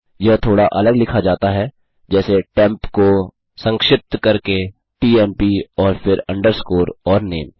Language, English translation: Hindi, This is written slightly differently as tmp abbreviated to temp and underscore and name